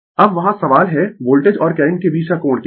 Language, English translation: Hindi, Now, question is there what is the angle between the voltage and current